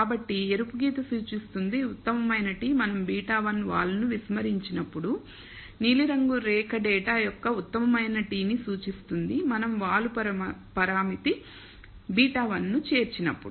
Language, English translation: Telugu, So, the red line represents the best t when we ignore beta 1 the slope, the blue line represents the best t of the data when we include the slope parameter beta 1